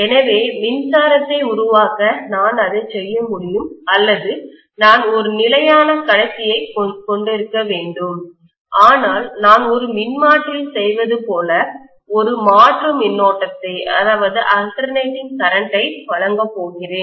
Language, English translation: Tamil, So I can do it that way to generate electricity or I can simply have a stationary conductor but I am going to probably provide with an alternating current like I do in a transformer